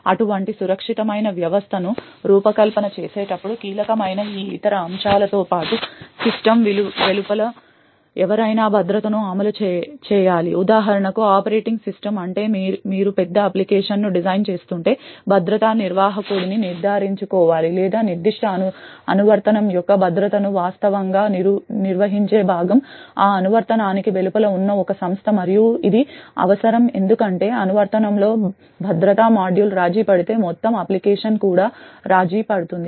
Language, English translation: Telugu, In addition to these other aspects that becomes crucial while designing such a secure system is that security should be enforced by someone outside the system for example the operating system which means to see that if you are designing a large application you should ensure that the security manager or the component which actually handles the security of that particular application is an entity which is outside that application and this is required because if that security module within the application itself gets compromised then the entire application itself is compromised